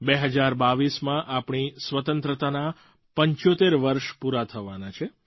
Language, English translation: Gujarati, In 2022, we will be celebrating 75 years of Independence